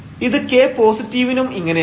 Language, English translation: Malayalam, So, then we have that for k positive